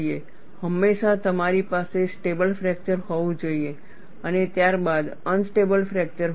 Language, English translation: Gujarati, You have a stable fracture, followed by unstable fracture